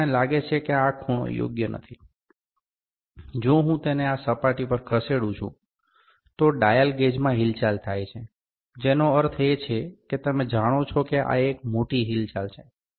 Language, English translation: Gujarati, So, let me think this angle is not correct, if I move it on this surface, there is the movement in the dial gauge that means, you know this is the big movement